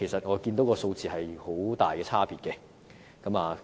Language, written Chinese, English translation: Cantonese, 我看到數字有很大差別。, I found a significant difference between their numbers